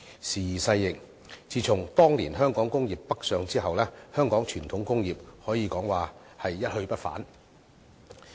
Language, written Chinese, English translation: Cantonese, 時移世易，自從當年香港工業北上之後，香港傳統工業可以說是一去不返。, Now that time has changed and with the relocation of the Hong Kong industries northward the traditional industries of Hong Kong have since taken the path of no return